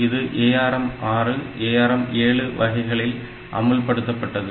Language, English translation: Tamil, So, it was implemented in ARM 2, ARM 3, type of processors